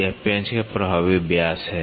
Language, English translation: Hindi, This is the effective diameter of the screw